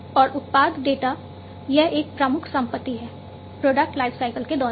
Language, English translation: Hindi, And the product data it is a major asset, throughout the product lifecycle